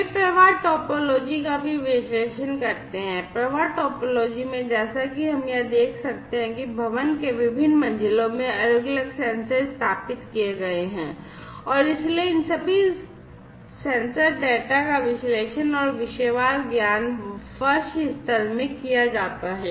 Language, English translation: Hindi, They also analyze the flow topology, in the flow topology as we can see over here different sensors are installed in the different floors of the building and so, all these sensor data are analyzed and aggregated topic wise, in the floor level